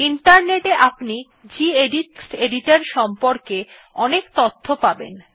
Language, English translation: Bengali, The Internet has a lot of information on gedit text editor